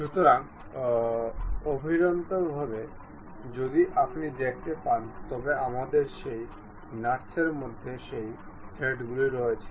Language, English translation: Bengali, So, internally if you are seeing we have those threads in that nut